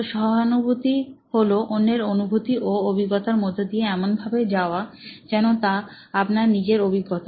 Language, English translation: Bengali, So, empathy is about going through somebody else's experience as if it were your own